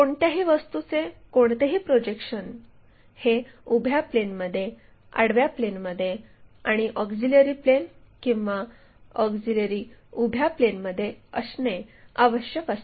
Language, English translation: Marathi, So, the any object whatever the projection we would like to really consider that has to be in between vertical plane, horizontal plane and auxiliary plane or auxiliary vertical plane